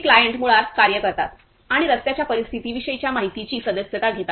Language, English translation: Marathi, These client basically act and subscribe the informations about the road conditions